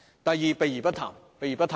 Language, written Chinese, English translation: Cantonese, 第二，避而不談。, Secondly the Government is evasive